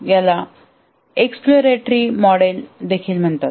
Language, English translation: Marathi, This is also called the exploratory model